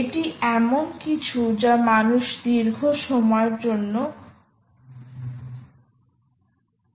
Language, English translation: Bengali, this is something that people have been, i mean, exploring for a long time now